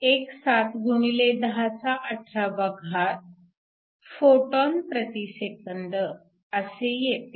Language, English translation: Marathi, 17 x 1018 photons per second